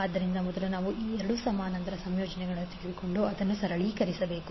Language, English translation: Kannada, So first we have to take these two the parallel combinations and simplify it